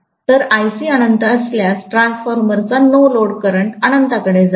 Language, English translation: Marathi, So, if Ic is infinity, the no load current of the transformer will get to infinity